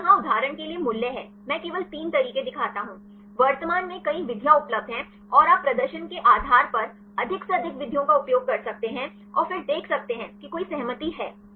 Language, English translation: Hindi, So, this is the values here for example, I show only three methods; currently several methods are available and you can use as many methods as possible depending upon the performance and then see are there any consensus